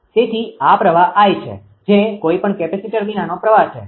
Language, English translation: Gujarati, So, this current is I that is this current without any capacitor